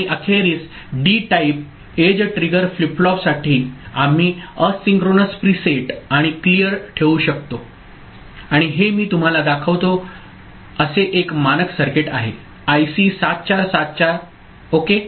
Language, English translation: Marathi, And finally, for a D type edge triggered flip flop we can put asynchronous preset and clear and this is a standard circuit that I show you, IC 7474 ok